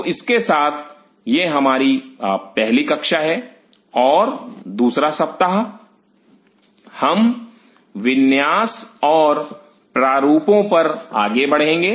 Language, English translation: Hindi, So, with this; this is our first class and the second week we will move on to the layout and designs